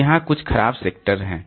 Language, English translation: Hindi, So, there are some bad sectors